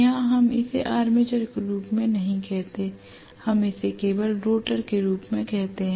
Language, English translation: Hindi, Here we do not call it as armature, we only call it as rotor